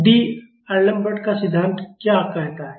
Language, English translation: Hindi, So, what is D’Alembert’s principle say